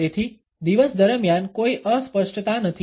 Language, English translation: Gujarati, So, that there is no fuzziness during the day